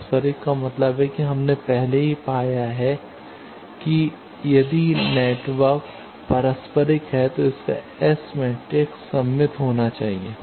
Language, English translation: Hindi, Reciprocal means we have already found that if the network is reciprocal its S matrix should be symmetric